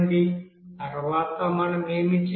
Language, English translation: Telugu, Next what we have to do